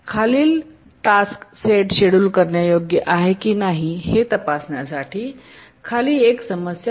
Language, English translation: Marathi, One is check whether the following task set is schedulable